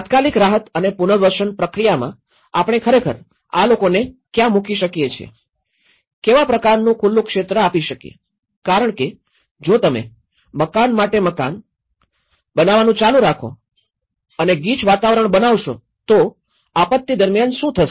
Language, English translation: Gujarati, In the immediate relief and rehabilitation process, where can we actually put these people, what kind of open area because if you keep planning house for house, house for house and then if you make it as the congested environment, so what happens during a disaster